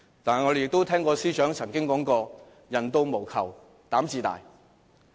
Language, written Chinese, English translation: Cantonese, 但是，我們也聽過司長曾經說過："官到無求膽自大"。, However we also once heard her say A government official with no expectation is always courageous